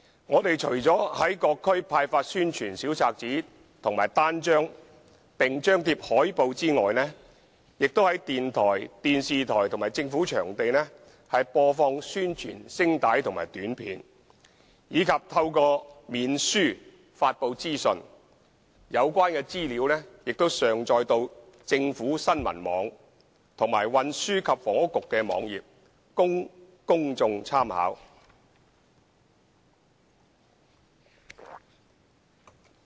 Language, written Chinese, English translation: Cantonese, 我們除了在各區派發宣傳小冊子和單張並張貼海報外，亦在電台、電視台和政府場地播放宣傳聲帶和短片，以及透過面書發布資訊，有關資料亦已上載到政府新聞網和運輸及房屋局的網頁，供公眾參考。, Apart from distributing promotional booklets and pamphlets as well as displaying posters in various districts we have also been broadcasting promotional audio - clips and videos at radio stations television stations and government venues as well as disseminating information through Facebook . The relevant materials have been uploaded to newsgovhk and the website of the Transport and Housing Bureau for public reference